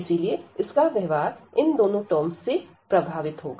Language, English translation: Hindi, So, the behavior will be influenced by these two terms